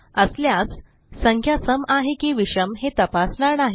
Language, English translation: Marathi, If yes then we will not check for even and odd